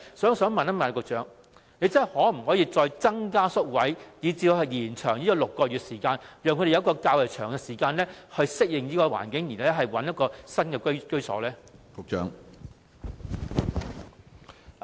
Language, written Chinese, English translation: Cantonese, 我想問局長，可否再增加宿位，以致6個月的住宿期可以延長，讓入住的露宿者有較長時間適應環境，然後尋覓新居所？, I would like to ask the Secretary whether more hostel places can be provided so that the six - month duration of stay can be extended to allow street sleepers a longer period of time to adapt to the environment and then look for a new home?